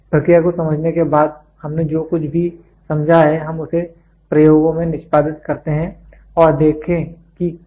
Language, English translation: Hindi, After understanding the process whatever we have understood we execute it in the experiments and see whether it is coming